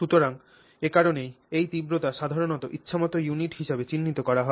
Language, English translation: Bengali, So, that is therefore this intensity is usually marked as arbitrary units